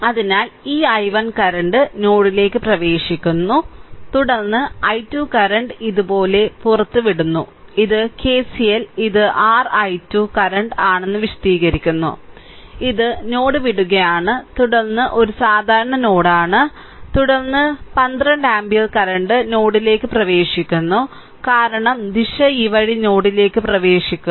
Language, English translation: Malayalam, So, this i 1 current entering into the node so, this current is i 1 this is entering into the node, then i 2 current emitting like this the way we ah explain that KCL this is your i 2 current it is leaving the node then this is a common node then 12 ampere current it is entering into the node because direction is this way entering into the node